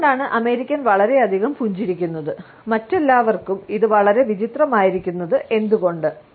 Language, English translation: Malayalam, So, why do American smile so much and why is that so strange to everyone else